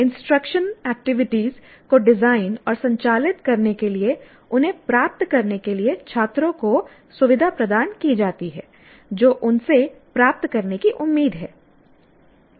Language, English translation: Hindi, Instructional activities are designed and conducted to facilitate them to acquire what they are expected to achieve